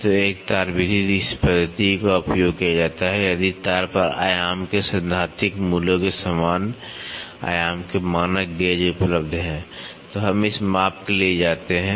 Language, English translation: Hindi, So, one wire method; this method is used if a standard gauges of the same dimension as a theoretical value of the dimension over wire is available, then we go for this measurement